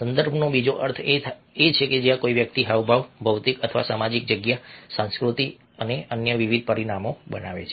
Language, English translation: Gujarati, the other part of the context is where somebody is making the gestures, the physical or the social space, the culture and various other dimensions